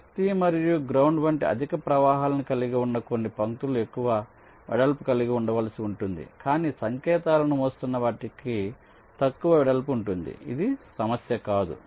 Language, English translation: Telugu, ok, some of the lines which carry higher currents, like power and ground, they may need to be of greater width, but the ones which are carrying signals, they may be of less width